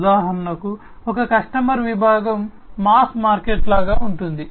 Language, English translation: Telugu, For example, one customer segment could be something like the mass market